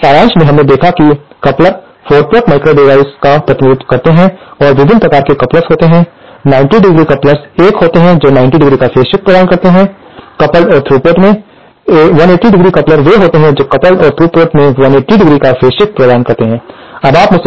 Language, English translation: Hindi, So, so in summary we saw that couplers represent 4 port microwave devices and there are various kinds of couplers, 90¡ couplers are one which provide phase shift of 90¡ between the coupled and through ports, 180 daily couplers are ones which provide 180¡ phase shift between coupled and through ports